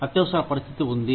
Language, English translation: Telugu, There is an emergency